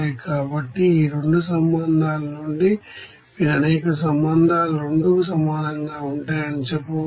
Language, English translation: Telugu, So, from these 2 relations you can say that there will be a number of relations will be equals to 2